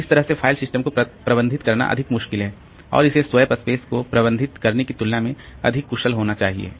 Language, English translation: Hindi, So, that way the managing the file system is more tricky and it has to be more efficient than managing the swap space